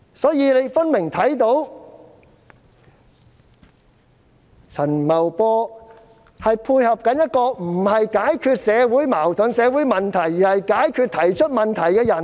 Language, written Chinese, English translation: Cantonese, 所以，大家看到陳茂波分明正在配合一套專制老路，不解決社會矛盾和問題，反而要解決提出問題的人。, Hence we see that Paul CHAN is obviously toeing the old way of autocracy trying to fix the people who raise questions instead of fixing social conflicts and problems